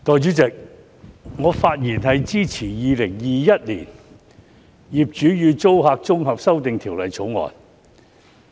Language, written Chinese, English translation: Cantonese, 代理主席，我發言支持《2021年業主與租客條例草案》。, Deputy President I speak in support of the Landlord and Tenant Amendment Bill 2021 the Bill